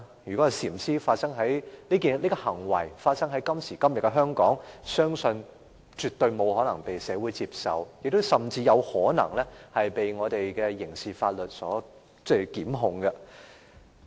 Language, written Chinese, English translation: Cantonese, 如果禪師這行為發生在今時今日的香港，相信絕對不可能為社會接受，甚至有可能被刑事檢控。, I believe that in todays Hong Kong what the master did is absolutely unacceptable to the community and may even lead to criminal prosecution